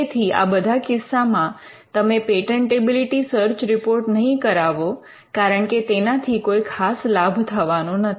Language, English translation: Gujarati, So, in in all these cases you would not go in for a patentability search report, because there is nothing much to be achieved by getting one